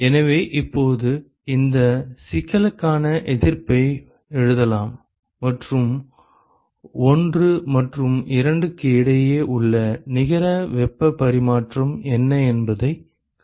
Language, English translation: Tamil, So, now I can write the resistances for this problem and find out what is the net heat exchange between 1 and 2